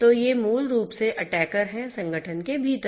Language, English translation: Hindi, So, these are basically the attackers from within the organization